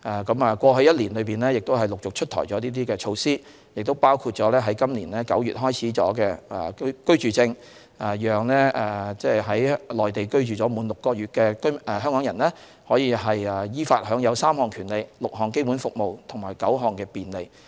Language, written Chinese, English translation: Cantonese, 在過去的1年，已陸續出台了這些措施，當中包括今年9月開始推出的居住證，讓在內地居住滿6個月的香港人依法享有3項權利、6項基本公共服務及9項便利。, Last year certain measures were gradually rolled out including the residence permits introduced in September this year . A Hong Kong resident who has been residing in the Mainland for six months can apply for a residence permit to be entitled to enjoy in accordance with the law three categories of rights six basic public services and nine facilitation measures